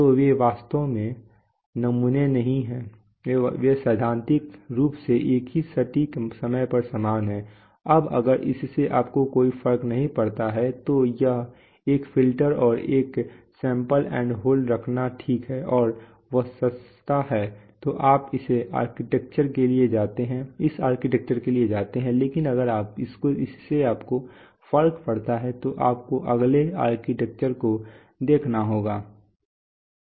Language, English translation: Hindi, So they are actually not samples, are the same theoretically at the same accurate instant of time right, now in, that makes that if that does not make a difference to you then having one filter and one sample and hold is okay and that is cheaper right, so you go for this architecture but if it does make a difference to you then you have to look at the next architecture